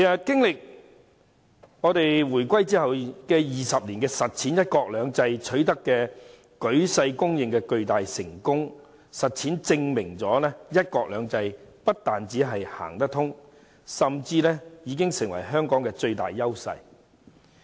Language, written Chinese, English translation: Cantonese, 經歷回歸20年，"一國兩制"取得舉世公認的巨大成功，正好從實踐中證明"一國兩制"不但行得通，甚至已經成為香港的最大優勢。, Over the past two decades one country two systems has achieved world - recognized enormous success proving with actual practice that one country two systems is not only feasible but it has also become Hong Kongs greatest strength